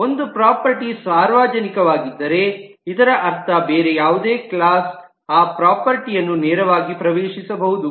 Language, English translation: Kannada, If a property is public, it is meant that any other class can access that property directly